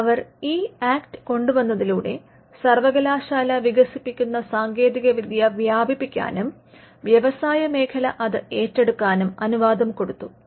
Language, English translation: Malayalam, So, when they came up with the Act, they allowed university technology to be diffused into and taken up by the industry